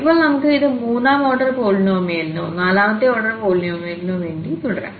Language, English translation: Malayalam, So, now, we can continue this for the third order polynomial or the fourth order polynomial